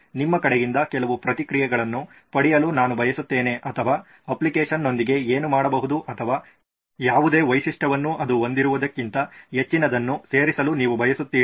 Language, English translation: Kannada, I would like to get some feedbacks from your side what more can be done with the application or any feature you want it to add more than what it has